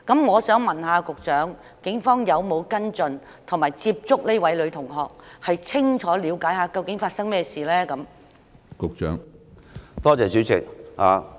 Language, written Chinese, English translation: Cantonese, 我想問局長，警方有否跟進及接觸這位女同學，以便清楚了解發生甚麼事情？, I would like to ask the Secretary Have the Police followed up with and approached this female student so as to get a clear picture of what had happened?